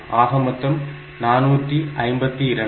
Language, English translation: Tamil, So, that is 452